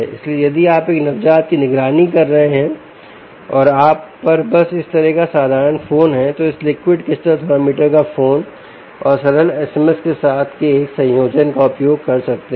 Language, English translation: Hindi, if your monitoring, let us say, a neonate, and you simply have a simple phone like this, you could use a combination of this liquid crystal thermometer with that of ah um, a phone and simple s m s